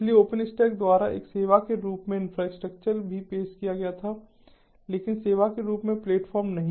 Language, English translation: Hindi, so infrastructure as a service was also offered by openstack, but not platform as a service